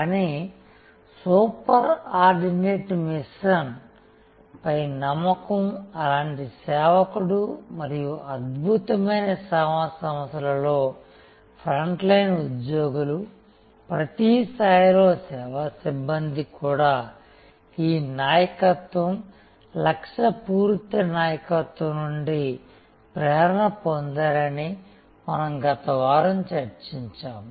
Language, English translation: Telugu, But, almost a servant like belief in a super ordinate machine and we concluded last week that in excellent service organizations, even the frontline employees, service personnel at every level are inspired by this leadership, missionary leadership